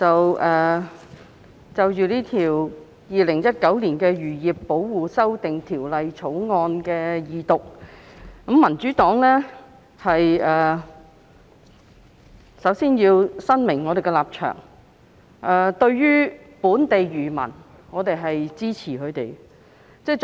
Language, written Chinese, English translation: Cantonese, 代理主席，就着《2019年漁業保護條例草案》的二讀辯論，民主黨首先要表明立場，我們支持本地漁民。, Deputy President in respect of the Second Reading debate on the Fisheries Protection Amendment Bill 2019 the Bill the Democratic Party needs to make clear its stance first . We support local fishermen